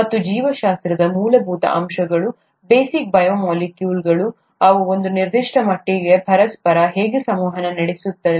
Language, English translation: Kannada, And the very fundamentals of biology, the basic biomolecules, how they interact with each other to certain extent may be